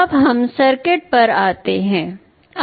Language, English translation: Hindi, Now, let us come to the circuit